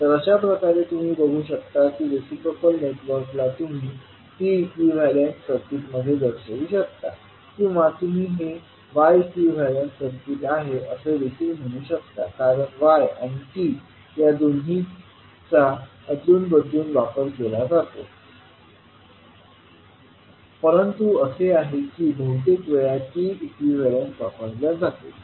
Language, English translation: Marathi, So, with this you will see that you can represent a network which is reciprocal into a T equivalent circuit or you can also say this is Y equivalent circuit because Y or T are used interchangeably in the literature, but most of the time you will say that it is considered as a T equivalent